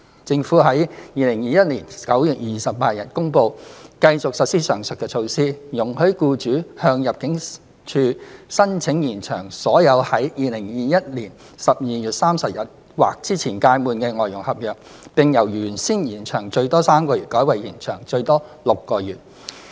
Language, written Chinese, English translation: Cantonese, 政府於2021年9月28日公布繼續實施上述措施，容許僱主向入境處申請延長所有在2021年12月31日或之前屆滿的外傭合約，並由原先延長最多3個月改為延長最多6個月。, The Government announced on 28 September 2021 the continuation of this measure . Employers may apply to the ImmD for extension of all FDH contracts that will expire on or before 31 December 2021 . The maximum period of extension is lengthened from three months to six months